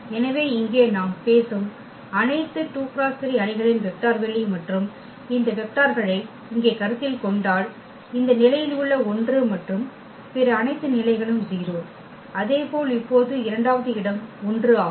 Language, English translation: Tamil, So, here the vector space of all 2 by 3 matrices we are talking about and if we consider these vectors here, the 1 at this position and all other positions are 0; similarly now at the second position is 1 all others are 0